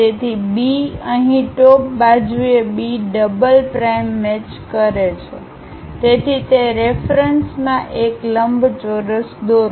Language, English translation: Gujarati, So, B here B double prime matches on the top side; so, with respect to that draw a rectangle